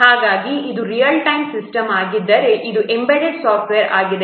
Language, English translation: Kannada, So, if it is a real time system means this an embedded software